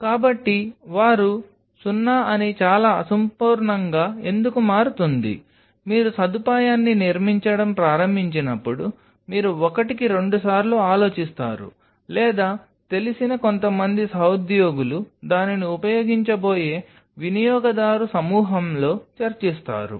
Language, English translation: Telugu, So, that is why it becomes very much more imperfective that they 0, when you start to build up the facility you think twice or some of the colleagues who knows it discuss among the user group who will be using it